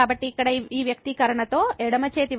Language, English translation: Telugu, So, this here with this expression left hand side will become over